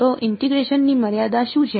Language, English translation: Gujarati, So, what are the limits of integration